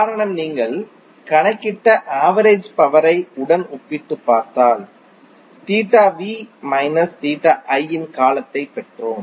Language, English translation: Tamil, The reason is that if you compare it with the average power we calculated we got the term of theta v minus theta i